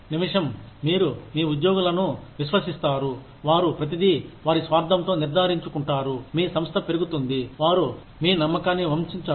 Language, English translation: Telugu, The minute, you trust your employees, they will do everything, in their capacity, to make sure that, your organization rises, that they do not betray your trust